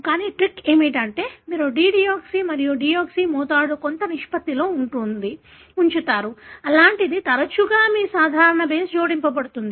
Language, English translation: Telugu, But, the trick is that, you keep the concentration of dideoxy and deoxy to some ratio, such that more often than not, your normal base is added